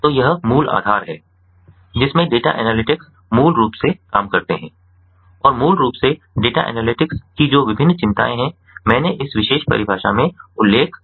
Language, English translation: Hindi, so this is basically the premise in which data analytics ah, basically work and the different concerns of data analytics are basically i mentioned in this particular definition